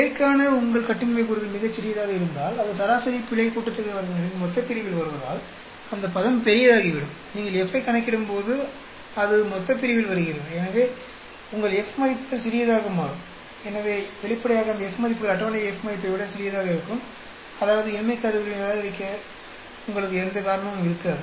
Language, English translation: Tamil, If your degrees of freedom for error is very small, because it comes in the denominator for mean sum of squares for error, that term becomes large, and again, that comes in the denominator when you calculate F; so your F values become small; so obviously, those F values will be smaller than the table F value; that means, you will not have any reason for rejecting the null hypothesis